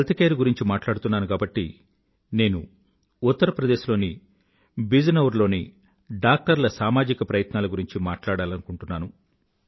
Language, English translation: Telugu, Since we are referring to healthcare, I would like to mention the social endeavour of doctors in Bijnor, Uttar Pradesh